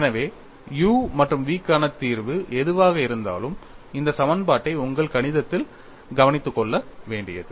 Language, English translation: Tamil, So, whatever the solution for u and v I get, this equation also to be satisfied that is to be taken care of in your mathematics